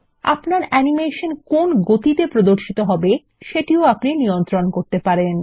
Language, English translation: Bengali, You can also control the speed at which your animation appears